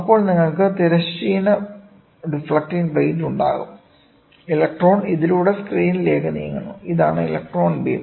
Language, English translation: Malayalam, Then you will all have horizontal deflecting plates, the electron moves through this to the screen, ok; this is the electron beam